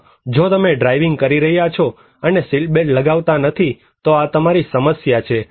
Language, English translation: Gujarati, Or if you are driving and not putting seatbelt, this is your problem